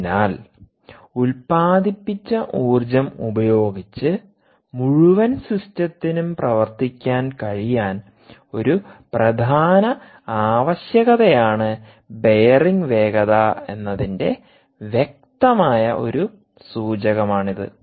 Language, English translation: Malayalam, so a clear indicator that speed of the bearing also is a important requirement to ensure that the whole system can work, can run with harvested energy